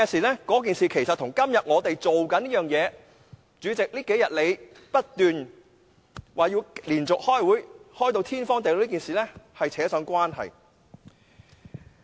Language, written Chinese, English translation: Cantonese, 那件事其實與我們正在做的事——主席這數天不斷說我們要連續開會，開到"天荒地老"這件事——有關。, It was related to what we are doing―the President has been saying we will continuously hold meetings until the end of time